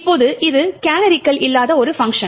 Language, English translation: Tamil, Now this is a function without canaries